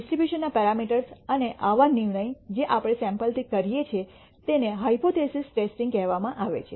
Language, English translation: Gujarati, The parameters of the distribution and such decision making that we do from a sample is called hypothesis testing